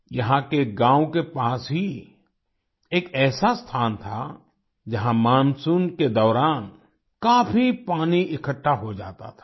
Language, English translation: Hindi, There was a place near the village where a lot of water used to accumulate during monsoon